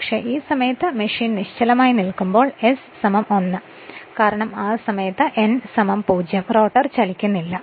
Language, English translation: Malayalam, But when machine is stand still at that time s is equal to 1, because at that time n is equal to 0